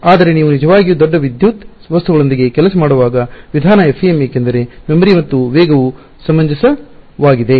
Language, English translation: Kannada, But, the way you are able to really work with very large electrical objects is FEM because memory and speed are reasonable